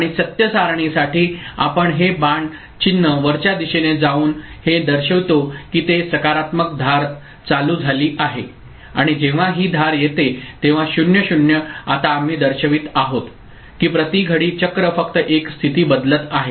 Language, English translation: Marathi, And for the truth table, we can indicate this by putting this arrow mark going upward that it is positive edge triggered and when this edge comes so, 0 0 the now we are indicating that only one state change is taking place per clock cycle it is we are ensuring